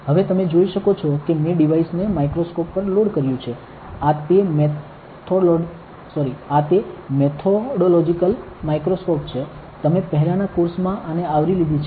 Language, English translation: Gujarati, Now, you can see that I have loaded the device on to the microscope, this is the methodological microscope you have covered this in the course before